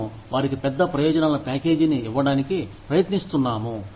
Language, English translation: Telugu, We are trying to give them, a big benefits package, to choose from